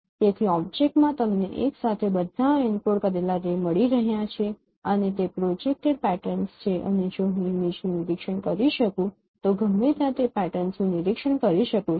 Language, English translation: Gujarati, So, in the object you are having all the encoded ray simultaneously and those patterns are projected and from observing in your image if I observe those patterns wherever it is